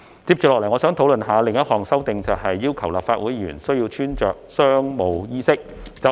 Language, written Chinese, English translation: Cantonese, 接着我想討論另—項修訂，就是要求立法會議員須穿着商務衣飾。, Next I would like to talk about the amendment requiring Legislative Council Members to dress in business attire